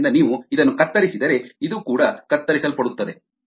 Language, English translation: Kannada, therefore, if you cut this off, also gets cut off